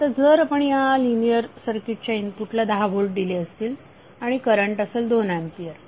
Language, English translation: Marathi, Now if you have applied 10 volt to the input of linear circuit and you got current Is 2 ampere